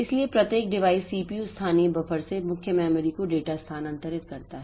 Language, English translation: Hindi, So, we have got this thing that each device CPU moves data from two main memory to from local buffers